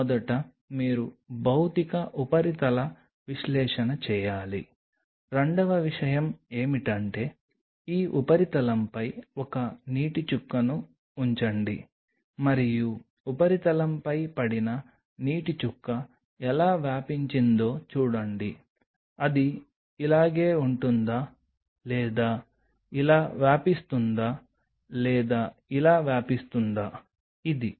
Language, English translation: Telugu, First you should do a Physical surface analysis; second thing what is essential is put a drop of water on this surface and see how the drop of water upon falling on the substrate kind of you know spread out does it remain like this or does it spread out like this or does it spread out like this